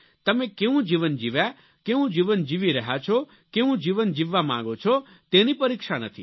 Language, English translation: Gujarati, It is not a test of what kind of life have you lived, how is the life you are living now and what is the life you aspire to live